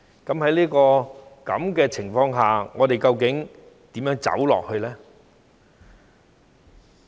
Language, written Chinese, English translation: Cantonese, 在這種情況下，我們究竟如何走下去呢？, Under the circumstances how do we move forward?